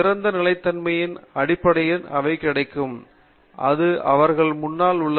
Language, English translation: Tamil, In terms of the open endedness that becomes available to them, that is in front of them